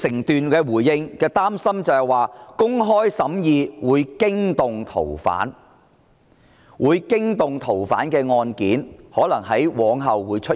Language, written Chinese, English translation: Cantonese, 局長回應時表示，擔心公開審議會驚動逃犯；會驚動逃犯的案件可能往後會出現。, He responded that he was worried that conducting an open hearing of the case would alert the fugitive offender and incidences of alerting fugitive offenders might also occur in the future